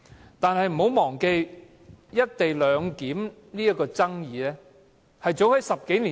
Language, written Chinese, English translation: Cantonese, 然而，不要忘記，"一地兩檢"的爭議始於10多年前。, However we must not forget that the controversies over the co - location arrangement have arisen for more than a decade